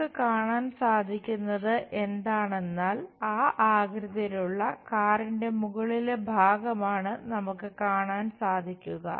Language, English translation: Malayalam, What we will see is the top portion of the car of that shape we supposed to see